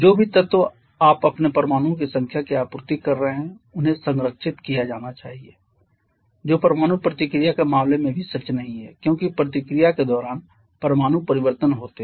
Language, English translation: Hindi, Whatever elements you are supplying their number of atoms they must be preserved which is also not true in case of chemical sorry in case of nuclear reaction because there are atoms change during the reaction